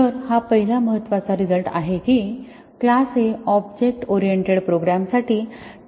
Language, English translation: Marathi, So, that is the first important result that class is the basic unit of testing for objects oriented programs